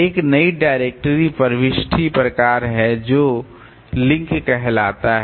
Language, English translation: Hindi, Have a new directory entry type which is link